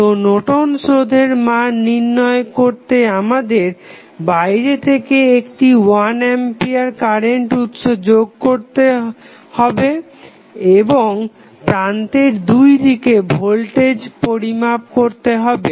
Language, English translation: Bengali, So, to find out the value of Norton's resistance, we just placed 1 ampere source externally and measure the voltage across terminal